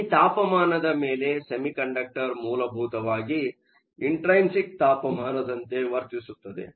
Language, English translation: Kannada, Above this temperature, a semiconductor essentially behaves as an intrinsic temperature